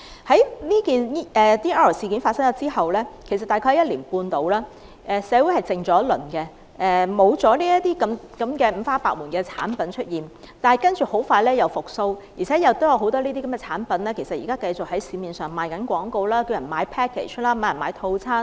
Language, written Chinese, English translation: Cantonese, 在 DR 事件發生後大約1年半，社會沉寂了一陣子，沒有再出現這些五花八門的產品，但接着很快又復蘇起來，而且現在很多產品繼續在市面賣廣告、叫人購買套餐。, About one and a half years after the DR incident attention on the matter subsided and there were much less similar products on the market . Soon after that however these products became popular again . Now we can find many advertisements of such products on the market asking people to purchase treatment packages